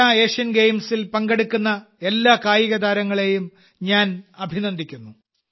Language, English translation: Malayalam, I congratulate all the athletes participating in the Para Asian Games